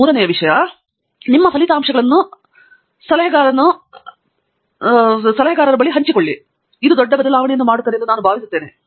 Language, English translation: Kannada, And, I think the third thing is sharing your results with the advisor makes a big difference